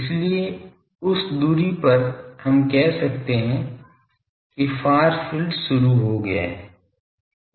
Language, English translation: Hindi, So, at that distance we can say that the far field has been started